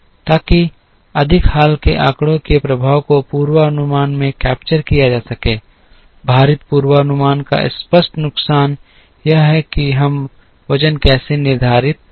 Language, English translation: Hindi, So, that the effect of the more recent data can be captured into the forecast, the obvious disadvantage of a weighted forecast is, how do we determine the weights